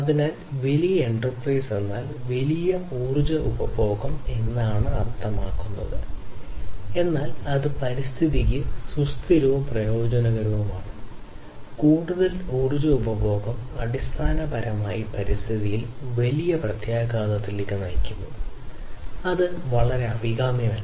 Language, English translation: Malayalam, So, larger enterprise means larger energy consumption, but that is not something that is sustainable and that is not something that can that is beneficial for the environment more energy consumption basically leads to bigger impact on the environment and which is not very desirable